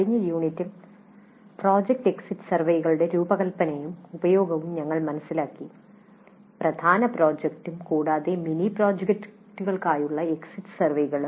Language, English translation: Malayalam, In the last unit we understood the design and use of project exit surveys, exit surveys for mini projects as well as the major main project and mini projects both as independent courses as well as a part of a regular course